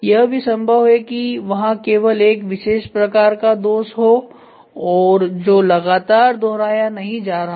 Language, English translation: Hindi, This is also possible, if in case it is only one defect and it is peculiar which is not going to get continuously repeated